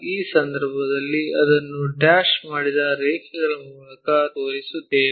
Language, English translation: Kannada, So, in that case we will show it by dashed lines